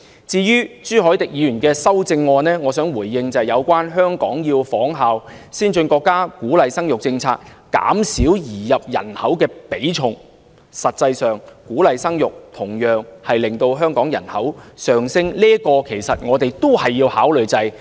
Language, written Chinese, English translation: Cantonese, 至於朱凱廸議員的修正案，我想回應的一點是有關香港要仿效先進國家的鼓勵生育政策，減少移入人口的比重，但實際上，鼓勵生育同樣會令香港人口上升，這一點我們也要加以考慮。, Mr CHU Hoi - dick proposes in his amendment that Hong Kong should model on the policies of advanced countries to promote childbirth thereby reducing the weighting of inward migration but I would like to point out that as a matter of fact promoting childbirth will also lead to an increase in Hong Kongs population and careful consideration should be given to this issue